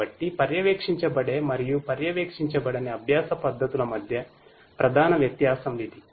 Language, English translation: Telugu, So, this is the main difference between the supervised and the unsupervised learning methods